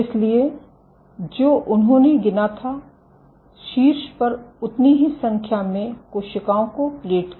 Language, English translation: Hindi, So, what they counted was they plated the same number of cells on top